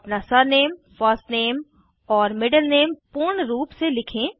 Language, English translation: Hindi, Write your surname, first name and middle name, in full form